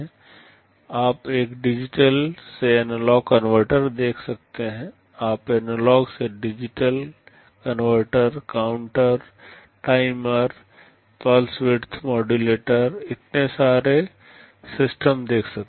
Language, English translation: Hindi, You can see a digital to analog converter, you can see analog to digital converter, counters, timers, pulse width modulator, so many subsystems